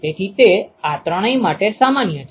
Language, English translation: Gujarati, So, that is common to all these three